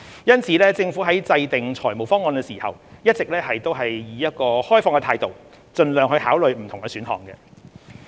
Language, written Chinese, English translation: Cantonese, 因此，政府在制訂財務方案時，一直持有開放態度，盡量考慮不同的選項。, Hence the Government has been keeping an open mind when formulating financial proposals and considering different options as far as practicable